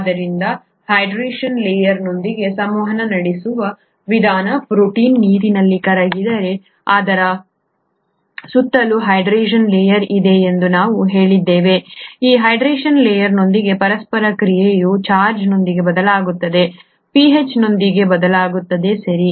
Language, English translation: Kannada, Therefore the way it interacts with the hydration layer; we said that if a protein is dissolved in water, there is a hydration layer around it; the interaction with that hydration layer changes with charge, changes with pH, okay